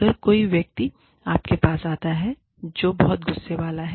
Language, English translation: Hindi, If a person comes to you, who is very, very, angry